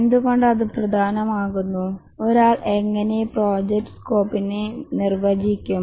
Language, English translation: Malayalam, Why is it important and how does one define the project scope